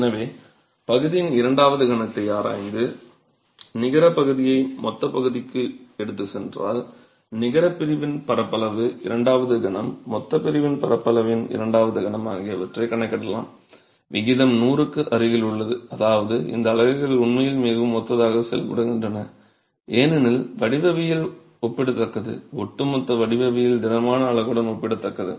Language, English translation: Tamil, So, if one way to examine the second moment of area and you take the net section to the gross section, you can calculate the second moment of the net section, the second momentary of the gross section, the ratio is close to 100 which means these units really behave very similar because of the geometry being comparable, overall geometry being comparable to a solid unit